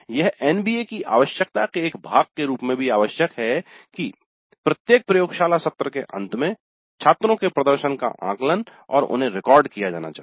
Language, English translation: Hindi, Now as a part of the NBA requirements also it is required that at the end of every laboratory session the students performance needs to be assessed and recorded